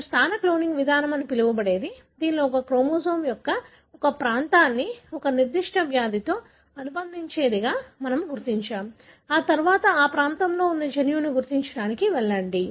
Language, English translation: Telugu, So, what you call as a positional cloning approach, wherein we identify a region of a chromosome that is associating with a particular disease, then go on to identify the gene that are located in that region